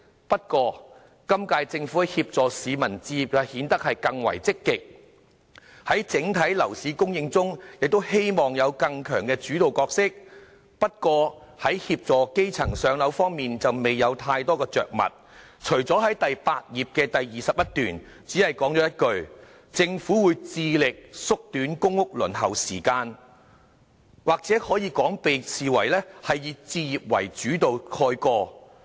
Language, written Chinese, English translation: Cantonese, 不過，今屆政府在協助市民置業方面顯得更為積極，而在整體樓市供應中亦希望有更強的主導角色，但在協助基層"上樓"方面則未有太多着墨，在第8頁第21段只是說了一句："政府會致力縮短公屋的輪候時間"，或者可以說是被"置業為主導"蓋過。, The current - term Government however seems more proactive in assisting the public in buying their own homes and assumes a stronger leading role in housing supply as a whole although assisting grass - roots families in moving into public housing was only briefly mentioned in paragraph 21 in page 8 the Government will strive to shorten the waiting time for public rental housing . Or perhaps the subject was overshadowed by the focus on home ownership